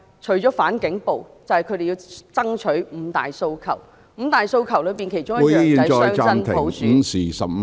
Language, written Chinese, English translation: Cantonese, 除了"反警暴"，便是他們要爭取落實五大訴求，五大訴求的其中一項是雙真普選......, Apart from opposition to police brutality they want to campaign for the implementation of the five demands and one of them is genuine dual universal suffrage